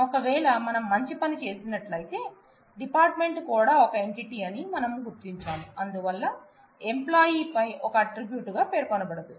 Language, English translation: Telugu, If we had done a good job then we would have identified that the department itself is an entity and therefore, would not feature as an attribute on the employee